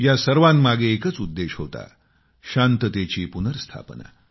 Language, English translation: Marathi, There has just been a single objective behind it Restoration of peace